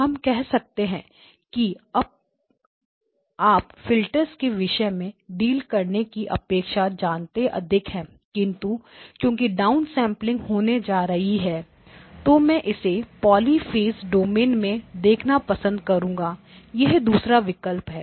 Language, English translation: Hindi, We can say that you know may be rather than dealing with the filters since anyway down sampling is going to happen, I may want to look at it in the poly phase domain, that is a second option